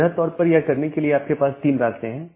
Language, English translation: Hindi, There are broadly three ways of doing that